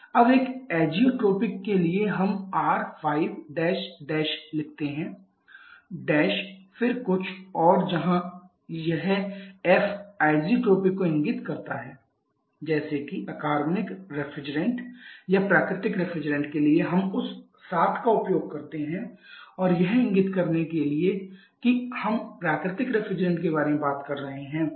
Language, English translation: Hindi, Now for a Azotropic one we write R5 then something else where this F indicates to the Azotropic like for inorganic refrigerants or natural refrigerants we use that 7 and to indicate we are talking about natural refrigerants